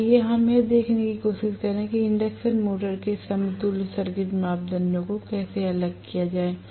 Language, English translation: Hindi, So, let us try to go and see how to determent the equivalent circuit parameters of the induction motor